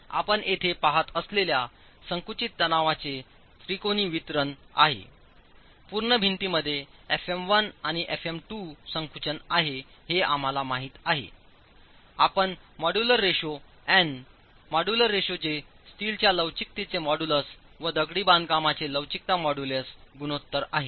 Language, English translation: Marathi, The triangular distribution of compressive stresses that you see here, the full wall in compression, fM1 and fm2 known, you will be able to use the modular ratio, n here is the modular ratio, n is the modular ratio, that is modus of elasticity of steel to the ratio, ratio of modulus of steel to that of the masonry